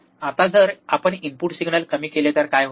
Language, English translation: Marathi, Now, if what happens if we decrease the input signal